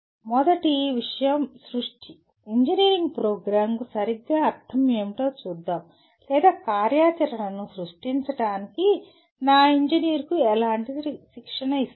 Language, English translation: Telugu, First thing is creation, let us look at what exactly it means for an engineering program or how do I train my engineer for create activity